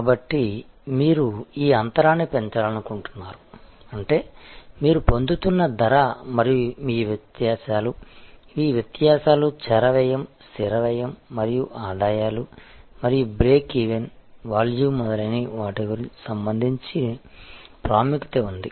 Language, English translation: Telugu, So, you would like to maximize this gap; that means, the price that your getting versus your cost and these differences are variable cost, fixed cost and the revenue and it is importance with respect to the break even, volume, etc, we discussed earlier